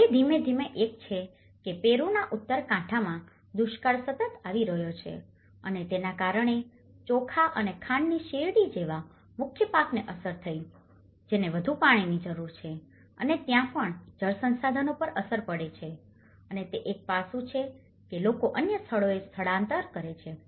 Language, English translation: Gujarati, Now, one is gradually, the drought in North coast of Peru have been consistently occurring and that has caused the affecting the predominant crops like rice and sugar canes which needs more water and also there is, also impact on the water resources and that is where that is one aspect people tend to migrate to other places